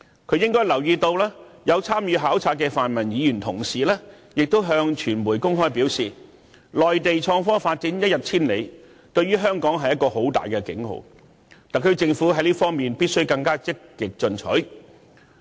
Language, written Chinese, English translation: Cantonese, 他應留意到有參與考察的泛民議員向傳媒公開表示，內地創科發展一日千里，對香港是一個大警號，特區政府在這方面必須更積極進取。, He should have noticed a pan - democratic Member who had participated in the visit told the media in public that innovation and technology is developing in leaps and bounds in the Mainland sounding a big alarm to Hong Kong . The SAR Government should thus make more proactive moves in this respect